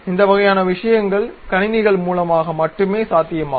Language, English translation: Tamil, These kind of things can be possible only through computers